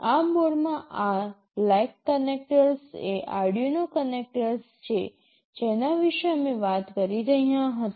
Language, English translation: Gujarati, In this board these black connectors are the Arduino connectors that we were talking about